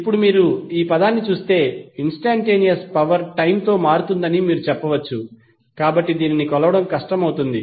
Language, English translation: Telugu, Now, if you see this term you can say that instantaneous power changes with time therefore it will be difficult to measure